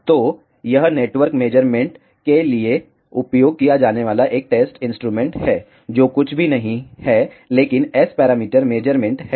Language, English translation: Hindi, So, this is a test instrument used for network measurements, which are nothing, but S parameter measurements